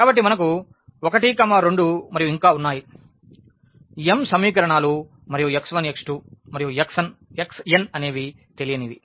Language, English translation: Telugu, So, we have 1 2 and so, on m equations and x 1 x 2 x 3 x n these are the unknowns